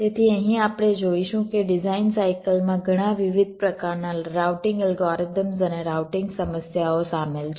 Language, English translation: Gujarati, so here we shall see that there are many different kinds and types of routing algorithms and routing problems involved in the design cycle